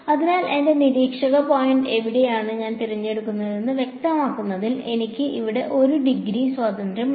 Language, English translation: Malayalam, So, I have 1 degree of freedom over here in specifying where should I choose my r, my observer point